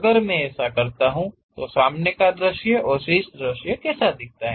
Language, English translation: Hindi, If I do that; how it looks like in front view and top view